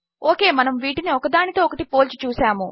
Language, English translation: Telugu, Okay so weve compared this here to this here